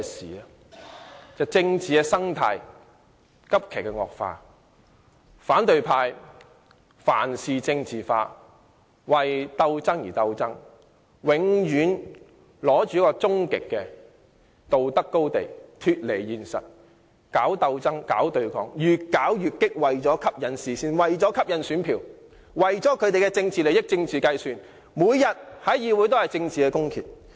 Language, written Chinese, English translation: Cantonese, 就是政治生態急劇惡化，反對派凡事政治化，為鬥爭而鬥爭，永遠站在終極道德高地，脫離現實，搞鬥爭、搞對抗，越搞越激；為了吸引視線和選票，為了一己政治利益和政治計算，每天在議會進行政治公決。, They fight for the sake of fighting and always stand on extremely high moral grounds . They have lost touch with reality; they wage political struggles and confrontations and become more and more radical . In order to draw attention and solicit votes they conduct political referendum in the Legislative Council every day to promote their own political interests and schemes